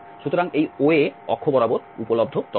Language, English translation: Bengali, So, this is the information available along this OA axis